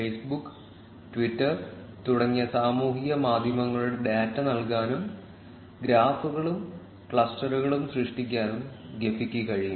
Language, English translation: Malayalam, Gephi can also input data of social networks like Facebook and Twitter and generate graphs and clusters